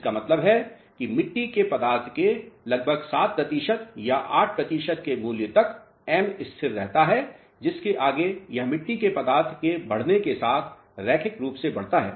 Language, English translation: Hindi, That means, up to a certain value of clay content approximately 7 percent or 8 percent, the value of m remains constant beyond which it increases linearly as a function of clay content